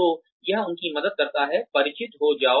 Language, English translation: Hindi, So, that helps them, get familiar